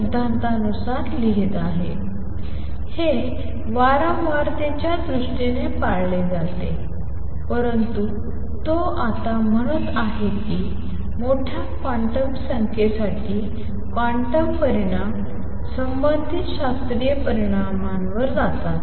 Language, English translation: Marathi, This is observed in terms of frequency, but he is saying now that for large quantum numbers quantum results go over to the corresponding classical results